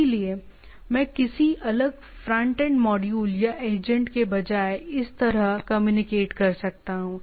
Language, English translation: Hindi, So, I can instead of having any separate front end module or agent I can communicate like this right